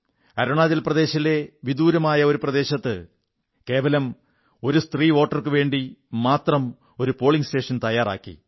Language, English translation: Malayalam, In a remote area of Arunachal Pradesh, just for a lone woman voter, a polling station was created